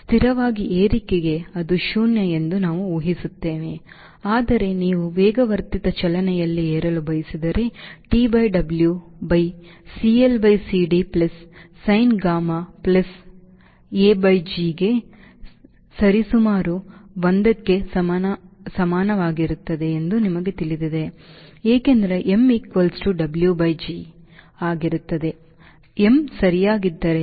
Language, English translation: Kannada, but if you want to climb at an accelerated motion, you know t by w will be equal to roughly one by c, l by c, d plus sin gamma, plus a by g, because n will be w by g